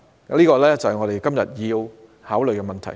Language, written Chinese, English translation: Cantonese, 這正是我們今天要考慮的問題。, This is precisely what we are going to consider today